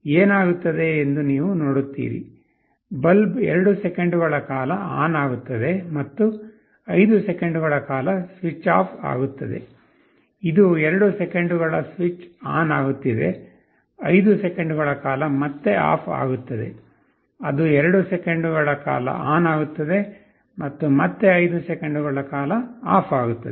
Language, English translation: Kannada, You see what happens; the bulb will switch ON for 2 seconds and will get switched OFF for 5 seconds, it is switching ON 2 seconds switch OFF for 5 seconds again, it switches ON for 2 seconds again switches OFF for 5 seconds